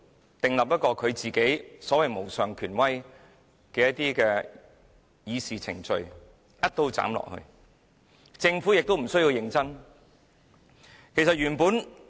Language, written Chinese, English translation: Cantonese, 他訂立了所謂主席無上權威的議事程序，"一刀斬下來"，而政府亦無須認真處事。, He has established such Council proceedings in which the President has the so - called supreme authority . He can cut everything at one stroke and the Government needs not deal with anything seriously